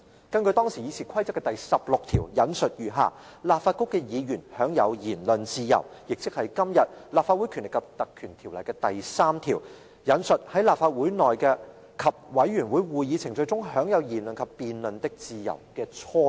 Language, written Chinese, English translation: Cantonese, 當時的議事規則第16條訂明："立法局的議員享有言論自由"，亦即是今天《立法會條例》第3條所訂"在立法會內及委員會會議程序中有言論及辯論的自由"的雛型。, Besides it also incorporated a number of provisions to protect Members right to freedom of debate . RoP 16 of this old RoP stipulates Members of the Legislative Council enjoy the freedom of speech . This is the prototype of Section 3 of todays Legislative Council Ordinance which stipulates that There shall be freedom of speech and debate in the Council or proceedings before a committee